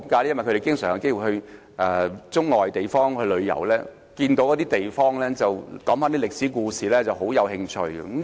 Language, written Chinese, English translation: Cantonese, 因為他們經常有機會到中外地方旅遊，聽到當地的歷史事蹟時便產生興趣。, That is because they have many opportunities to travel around the world and they have developed interest in the historical stories of the places they visit